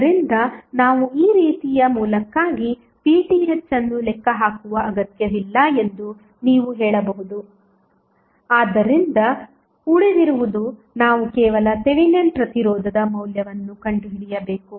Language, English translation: Kannada, So in that way you can simply say that we do not have any we need not to calculate V Th for this type of source, so what is left is that we need to find out the value of only Thevenin resistance